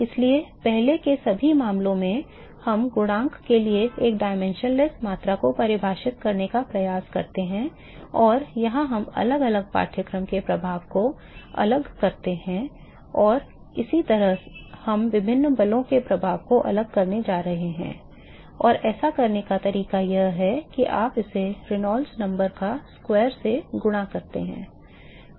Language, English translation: Hindi, So, in all the earlier cases we attempt to define a dimensionless quantity for the coefficient and here we distinguish the effect of different course here and similarly we are going to distinguish the effect of different forces and the way to do that is you multiply it by the square of Reynolds number